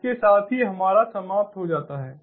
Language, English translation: Hindi, with this, we come to an end